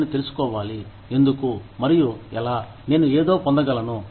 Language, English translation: Telugu, I should know, why, and how, I can get something